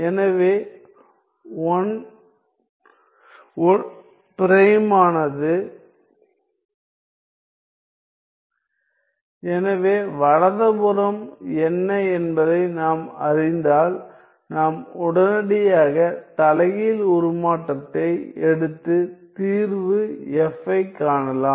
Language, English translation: Tamil, So, if we were to know what is the right hand side; we can immediately take the inverse transform and find the solution F